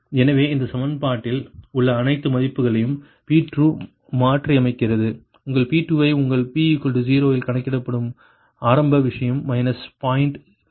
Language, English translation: Tamil, so p two, substitute all the values in this equation, all the values, you will get your p two, its calculated at around p is equal to zero, initial thing